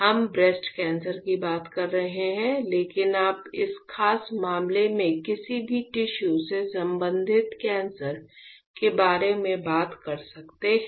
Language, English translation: Hindi, Now, we are talking about breast cancer, but you can talk about any tissue related cancer in this particular case